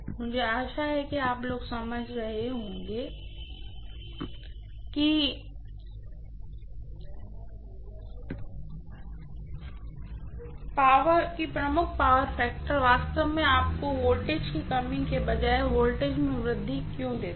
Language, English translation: Hindi, I hope so that you guys are understand why leading power factor actually gives you increase in the voltage rather than reduction in the voltage